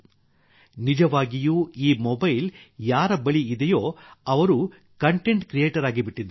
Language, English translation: Kannada, Indeed, today anyone who has a mobile has become a content creator